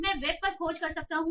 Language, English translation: Hindi, So I can search, say, on web